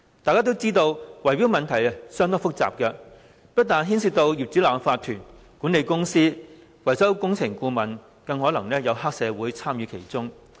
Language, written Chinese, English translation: Cantonese, 眾所周知，圍標問題相當複雜，不但牽涉業主立案法團、管理公司和維修工程顧問，黑社會更可能參與其中。, As we all know the problem of bid - rigging is quite complicated . Not only are owners corporations OCs management companies and maintenance works consultants are involved but triad members might also have a hand in it